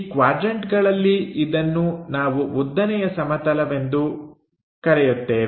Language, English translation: Kannada, In these quadrants we call this one as the vertical plane